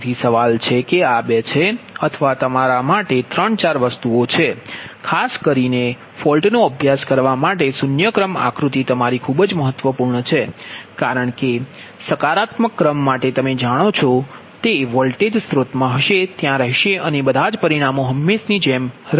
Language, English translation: Gujarati, so question is that this is two or there is three, four things for your, for particularly the false studies, the zero sequence diagram is your quite important because for positive sequence, you know it will be in voltage source will be there and all the parameters as usual